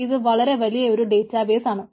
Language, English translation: Malayalam, its a large database